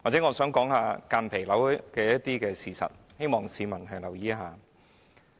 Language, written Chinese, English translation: Cantonese, 我想說明間皮瘤的事實，希望市民留意。, I would like to give some factual information on mesothelioma and I hope to draw the publics attention